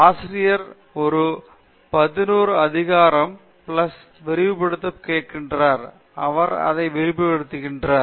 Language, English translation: Tamil, Teacher asks Peter to expand a plus b to the power of n; he keeps on expanding like this